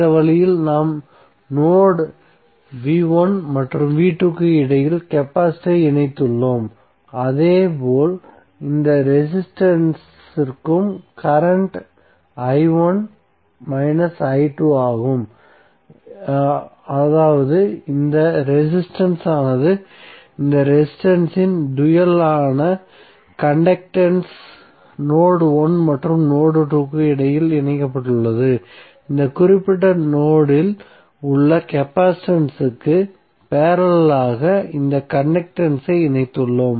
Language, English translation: Tamil, So in this way we have connected node the capacitor between node v1 and v2, similarly for this resistance also the current is i1 minus i2 that means that this resistance the dual of this resistance that is conductance would also be connected between node 1 and node 2, so we have connected this conductance in parallel with capacitance in this particular node